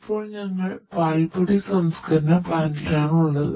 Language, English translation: Malayalam, So, right now we are in the powder processing plant